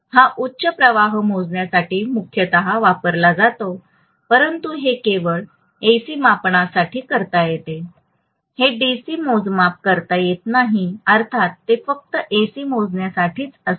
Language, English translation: Marathi, So this is essentially use for measuring high current but obviously this can be done only for AC measurement it cannot be done for DC measurement obviously it is only for A/C measurement